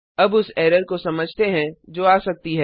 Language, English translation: Hindi, Now let us see an error which we can come across